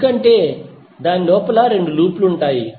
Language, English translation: Telugu, Because it contains 2 loops inside